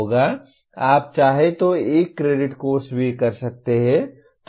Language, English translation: Hindi, You can also have 1 credit course if you want